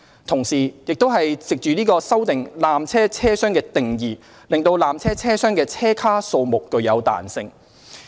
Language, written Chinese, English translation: Cantonese, 同時，亦藉此修訂"纜車車廂"的定義，令纜車車廂的車卡數目有彈性。, At the same time it introduced flexibility about the number of compartments for a tramcar by amending the definition of tramcar